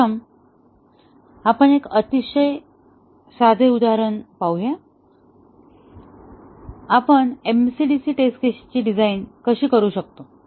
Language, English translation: Marathi, First, let us look at a very simple example; how do we design MCDC test cases